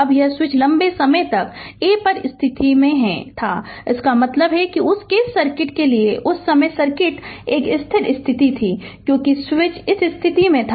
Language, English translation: Hindi, Now, this switch was at position for long time at A right, that means that means circuit at the time for that case circuit was a steady state, because, switch was at this position